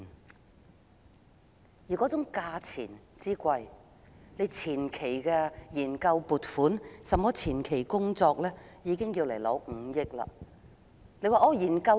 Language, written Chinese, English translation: Cantonese, 然而，人工島造價之高，單是前期的研究工作已要申請5億元撥款。, Nevertheless the price tag is so high that the Government has to apply for 500 million solely for a preliminary research